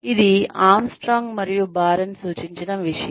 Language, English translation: Telugu, This is something that, the Armstrong and Baron had suggested